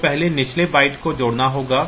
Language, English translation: Hindi, So, first the lower bytes are to be added